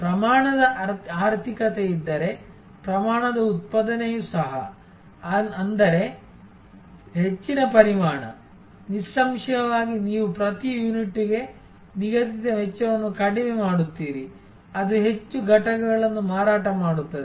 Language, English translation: Kannada, And also the scale production are if there is a economy of scale; that means, more volume; obviously you are fixed cost per unit will down, it more units are sold so